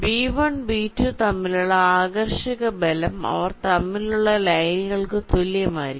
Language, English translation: Malayalam, so the attractive forces between b one and b two will be equal to number of lines